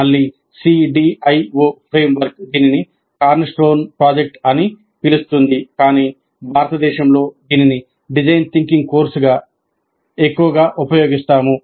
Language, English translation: Telugu, Again, CDIO framework calls this as cornerstone project, but in India we are more used to calling this as simply a design thinking course